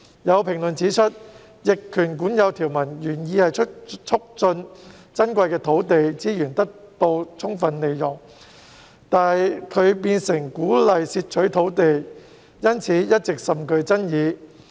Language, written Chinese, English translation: Cantonese, 有評論指出，逆權管有條文原意是促進珍貴的土地資源得以充分利用，但它變相鼓勵竊取土地，因此一直甚具爭議。, There are comments that while such provision on adverse possession has an original intent to facilitate the optimal use of precious land resources it has all along been rather controversial as it covertly encourages land thefts